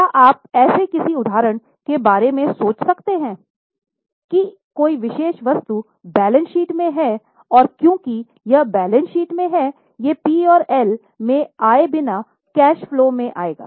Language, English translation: Hindi, Can you think of any such example that a particular item is in balance sheet and because it is in balance sheet it will come in cash flow without coming in P&L